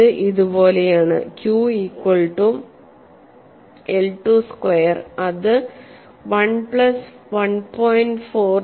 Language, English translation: Malayalam, Rawe and it is like this, Q equal to I 2 square that is equal to 1 plus 1